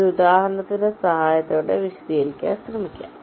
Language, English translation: Malayalam, why it is so, let me try to explain it with the help of an example